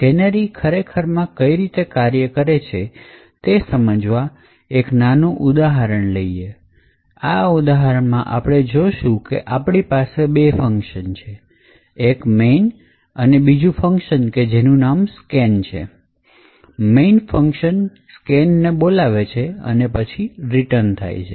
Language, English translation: Gujarati, So, we will take this particular example where there are just two functions one the main function and then another function called scan and the main function is just invoking scan and then returning